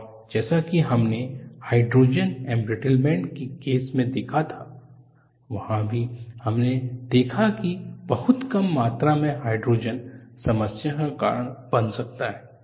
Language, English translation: Hindi, And like what we had seen in the case of hydrogen embrittlement, there are also we saw, very small amounts of hydrogen, can cause problem